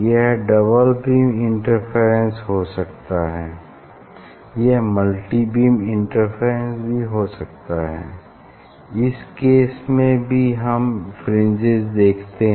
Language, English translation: Hindi, it can be double beam interference; it can be also multi beam interference and in this case, there are fringe we see